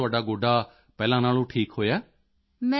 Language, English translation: Punjabi, So now your knee is better than before